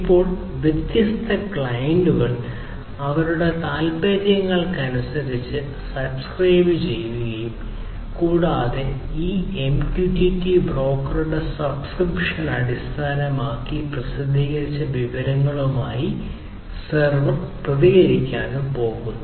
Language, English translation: Malayalam, Now, different clients like these would subscribe to depending on their interests subscribe to this data and that subscripts based on the subscription this MQTT broker, the server is going to respond with the published information